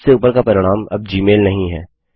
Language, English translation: Hindi, The top result is no longer gmail